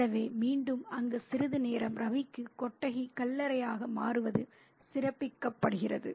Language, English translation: Tamil, So again the shed becoming a grave for Ravi for a short while is highlighted there